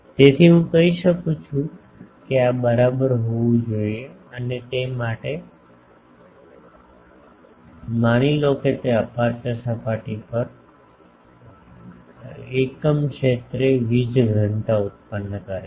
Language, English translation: Gujarati, So, I can say that this should be equal to and for that suppose it produces a power density per unit area in the aperture surface